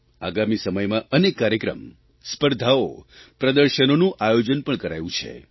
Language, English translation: Gujarati, In the times to come, many programmes, competitions & exhibitions have been planned